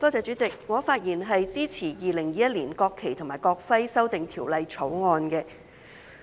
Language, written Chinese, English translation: Cantonese, 代理主席，我發言支持《2021年國旗及國徽條例草案》。, Deputy President I speak in support of the National Flag and National Emblem Amendment Bill 2021 the Bill